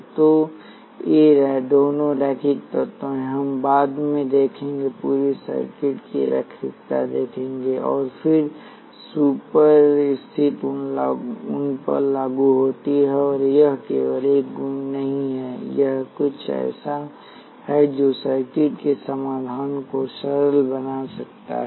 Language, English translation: Hindi, So, both of these are linear elements, we will see later, see linearity of whole circuits, and how super position applies to them, and it is not just a property; it is something which can simplify the solutions of circuits